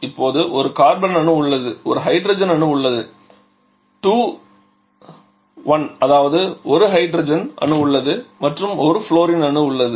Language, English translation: Tamil, There is just one carbon now there is hydrogen 2 1 that is 1 hydrogen is present and there is one fluorine also